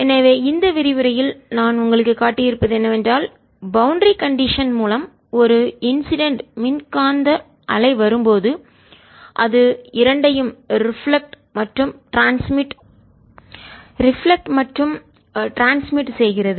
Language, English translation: Tamil, so what are shown you in this lecture is through the boundary condition when an is incident electromagnetic wave comes, it gets both reflected as well as transmitted